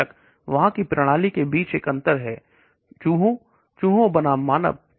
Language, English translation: Hindi, Of course there is a difference between the system of rats, mice versus human